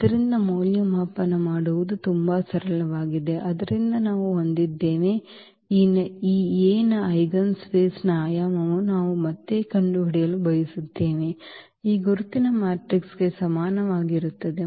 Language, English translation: Kannada, So, very simple to evaluate so we have, we want to find the dimension again of the eigenspace of this A is equal to this identity matrix